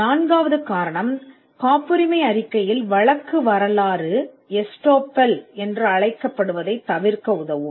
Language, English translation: Tamil, The 4th reason could be a patentability report can help in avoiding what is called prosecution history estoppel